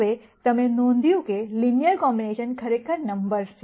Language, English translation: Gujarati, Now you notice, the linear combinations are actually the numbers themselves